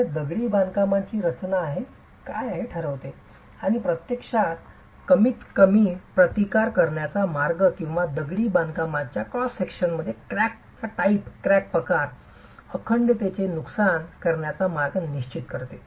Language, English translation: Marathi, So, that determines what is the texture of the masonry and this actually determines the path of lease resistance or the path of crack propagation and loss of integrity in cross sections in masonry